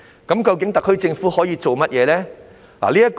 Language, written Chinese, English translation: Cantonese, 究竟特區政府可以做甚麼？, What exactly can the Special Administrative Region Government do?